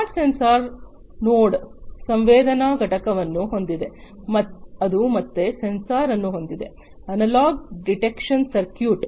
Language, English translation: Kannada, A smart sensor node has the sensing unit, which again has a sensor, an analog detection circuit